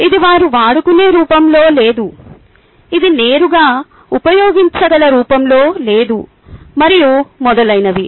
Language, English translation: Telugu, its not in a form that they can access, it is not in a form that can be directly used, and so on